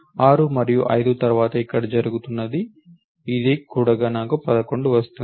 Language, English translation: Telugu, This is what is happening here then after the 6 and 5 have been add I get a 11